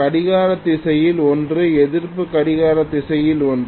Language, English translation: Tamil, One in clockwise, one in anti clockwise